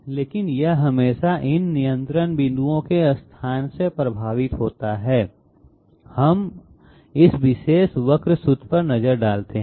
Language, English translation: Hindi, But it is always affected by the location of these control points; now let us have a look at this particular curve formula